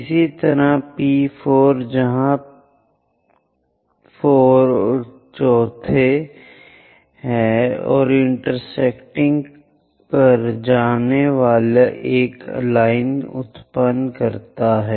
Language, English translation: Hindi, Similarly, P4 where 4th one and generate a line going to intersect